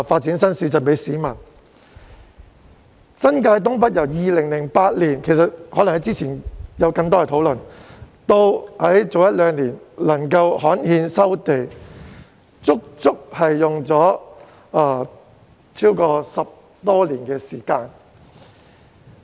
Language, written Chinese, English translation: Cantonese, 就新界東北而言，政府由2008年起——之前可能有更多討論——至一兩年前才能夠刊憲收地，過程足足花了10多年時間。, As far as NENT is concerned it was not until a couple of years ago that the Government had managed to gazette the resumption of land in a process that spanned more than a decade beginning in 2008―there might be more discussions before